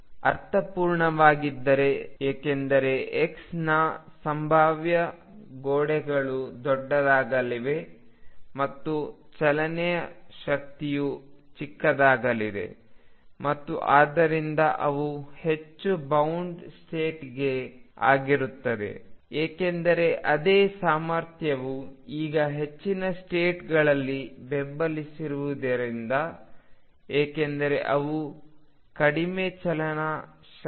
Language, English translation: Kannada, That make sense because, further away the walls of the potential the delta x is going to become larger and kinetic energy going to become smaller and therefore they will be more bound states, because the same potential can now by in or support more states because they have lower kinetic energy